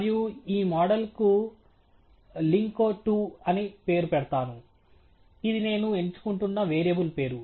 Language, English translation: Telugu, And let’s call this model as lin CO 2 – that’s just a variable name that I am choosing